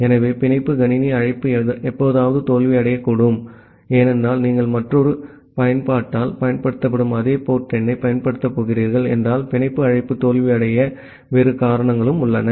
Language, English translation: Tamil, So, the bind system call may fail sometime because, if you are going to use the same port number which is being used by another application, there are other reasons where a bind call may fail